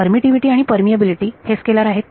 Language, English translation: Marathi, The permittivity and permeability are scalars